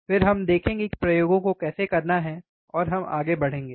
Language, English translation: Hindi, Then we will see how to perform the experiments, and we will move from there ok